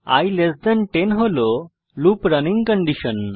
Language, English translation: Bengali, i10 is the loop running condition